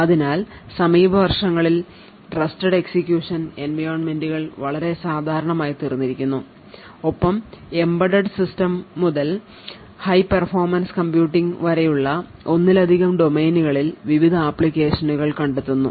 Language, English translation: Malayalam, So, Trusted Execution Environments are becoming quite common in the recent years and finding various applications in multiple domains ranging from embedded system to high performing computing